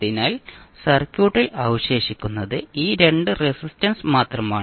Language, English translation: Malayalam, So, what we left in the circuit is only these 2 resistances